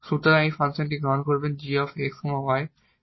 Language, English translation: Bengali, So, you will take a function this g x y as the integral